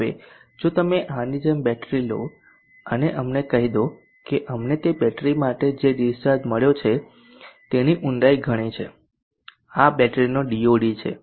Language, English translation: Gujarati, Now if you take a battery like this and let us say that, the depth of the discharge that we have find out for that battery is round so much